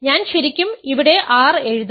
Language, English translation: Malayalam, I should really write r here